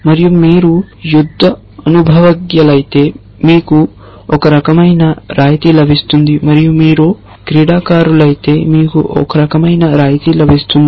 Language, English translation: Telugu, And if you are a war veteran you get a certain kind of concession and if you are a sports man you get a certain kind of concession